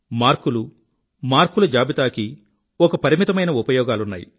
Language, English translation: Telugu, Marks and marksheet serve a limited purpose